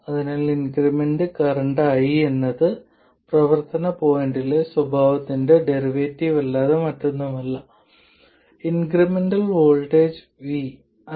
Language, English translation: Malayalam, So, the incremental current I is nothing but the derivative of the characteristic at the operating point times the incremental voltage V